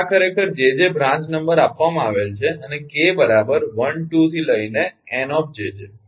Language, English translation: Gujarati, so this is actually given: jj is branch number and k equal to one to njj